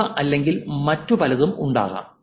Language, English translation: Malayalam, These ones or that could be many others also